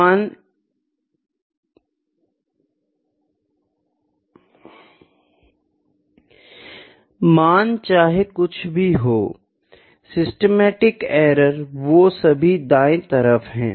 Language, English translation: Hindi, Systematic error whatever the values are there all on the right hand side